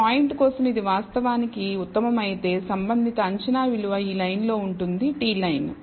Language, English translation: Telugu, So, for this point it is actually the corresponding predicted value will lie on this line here if this is the best t line